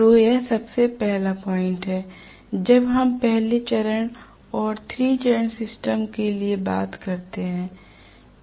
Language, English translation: Hindi, So this is one of the first points as for as the single phase and the 3 phase systems are concerned